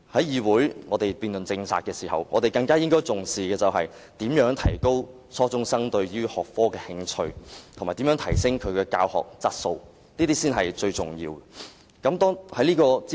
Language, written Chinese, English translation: Cantonese, 議會辯論政策時，應重視如何提高初中生對這學科的興趣，以及如何提升教學質素，這才是最重要的。, When this Council debates on the policy attention should be made on how to raise the interests of junior secondary students on this subject and how to improve teaching quality